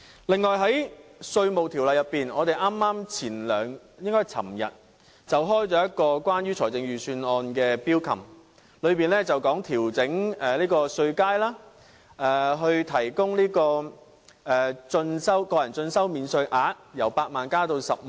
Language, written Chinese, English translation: Cantonese, 此外，在稅務條例方面，我們昨天剛舉行一個關於預算案的 Bills Committee， 當中討論調整稅階、提高個人進修免稅額，由8萬元增加至10萬元。, Moreover in respect of the Inland Revenue Ordinance a Bills Committee relating to the Budget hold a meeting yesterday in which we discussed issues like adjusting the tax bands and raising the deduction ceiling for self - education expenses from 80,000 to 100,000